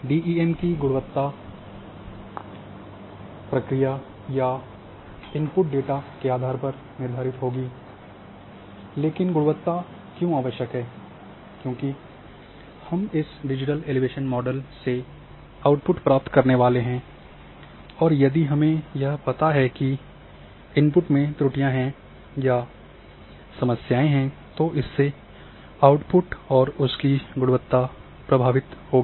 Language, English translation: Hindi, So, depending on the process or the inputs of the data the quality of DEMs would be there, but why quality is, important because we are going to use this digital elevation model to drive various outputs and if we know that if the input itself is having errors, or problems then your outputs will get affected their quality will get affect